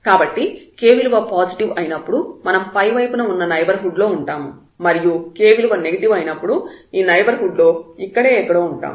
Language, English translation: Telugu, So, either when k positives, we are in the neighborhood of upper side when the h k is negative we are in the neighborhood somewhere here